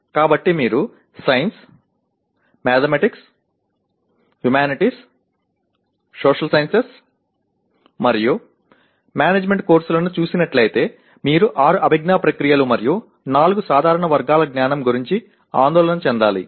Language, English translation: Telugu, So if you are looking at courses in sciences, mathematics, humanities, social sciences and management you need to worry about six cognitive processes and four general categories of knowledge